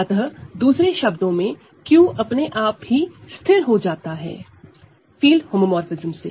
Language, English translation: Hindi, So, in other words Q is automatically fixed by a field homomorphism; you do not need to ask for it separately